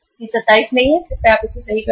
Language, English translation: Hindi, It is not 27 please correct it